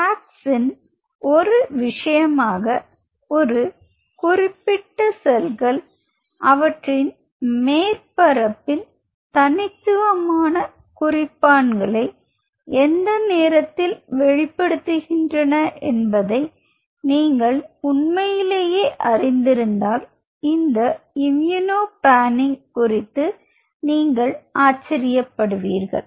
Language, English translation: Tamil, As a matter of FACS you will be surprised to know regarding this immuno panning if you really know at what point of time these specific cells express unique markers on their surface